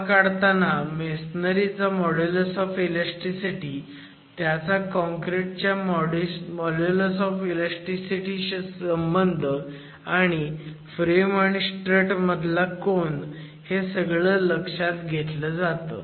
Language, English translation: Marathi, Arrive that considering the masonry modulus of elasticity, its relation to the concrete modulus of elasticity and the angle that the strut makes with the frame itself